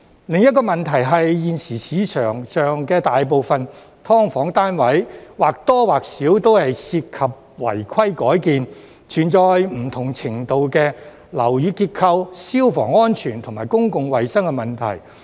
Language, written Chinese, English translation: Cantonese, 另一個問題是，現時市場上大部分"劏房"單位，或多或少都涉及違規改建，存在不同程度的樓宇結構、消防安全和公共衞生問題。, Another problem is that most SDUs currently on the market involve certain unauthorized building works UBWs with varying degrees of structural fire safety and public health problems